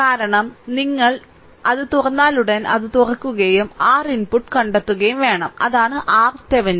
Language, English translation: Malayalam, Because, as soon as you will open it, it will be open and you have to find out R input; that is R Thevenin